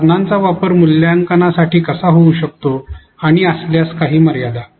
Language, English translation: Marathi, The use of the tool in assessment and any limitations, if there are